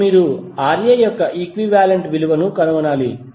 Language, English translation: Telugu, Now, you need to find the equivalent value of Ra